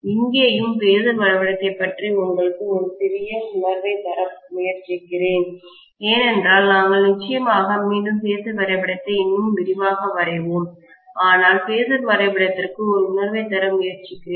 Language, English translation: Tamil, Let me probably try to give you a little feel for the phasor diagram as well here, because we will be definitely again trying the phasor diagram in greater detail, but let me try to give a feel for the phasor diagram